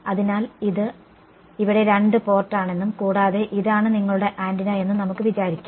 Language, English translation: Malayalam, So, we can think of this is a two port over here and this is your antenna right